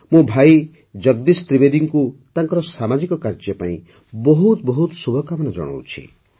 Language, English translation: Odia, I wish Bhai Jagdish Trivedi ji all the best for his social work